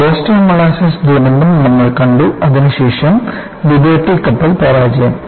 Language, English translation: Malayalam, We saw the Boston molasses disaster, which was followed by Liberty ship failure